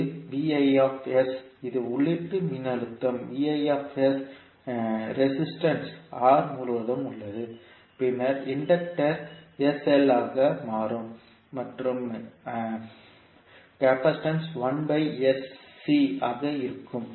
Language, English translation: Tamil, So this is Vis that is input voltage, V naught s is across the resistance R and then the Inductor will become sl and the capacitance will be 1 by sC